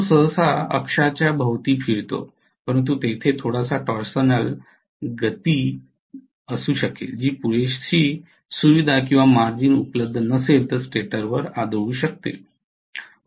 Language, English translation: Marathi, It will rotate normally about an axis but there may be a little you know torsional motion which may go and hit the stator if there is not enough you know leverage or enough margin available